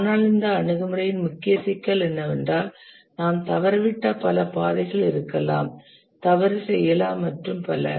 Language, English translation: Tamil, But then the main problem with this approach is that there may be many paths we miss out, may do a mistake, and so on